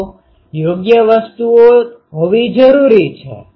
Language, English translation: Gujarati, So, proper things need to be